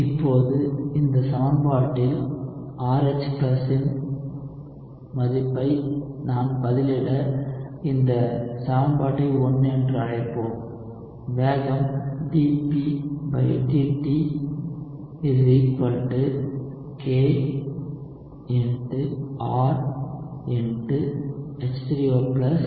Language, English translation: Tamil, So, now, if I plug in this value of RH+ in this equation, let us call this equation 1, you would get rate is equal to d[P] by dt is equal to K R into H3O+ divided by Ka RH+